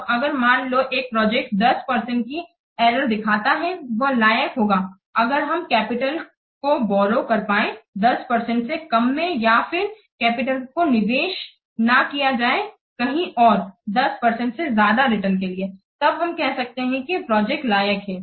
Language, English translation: Hindi, So, suppose a project that shows an IRR of 10% it would be worth if the capital could be borrowed for less than 10% or the capital it could not be invested in a annual show here for a return greater than 10%